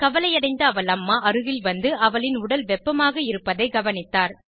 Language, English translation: Tamil, The worried mother who came near her noticed that she has a high temperature